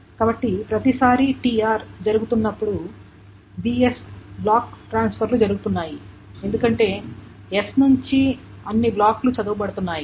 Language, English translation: Telugu, So that requires every time TR is being done, there are B S block transfers are being done because all the blocks from S are being red